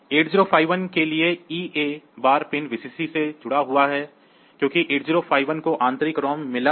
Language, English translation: Hindi, For 8051 EA bar pin is connected to Vcc; so because 8051 has got internal ROM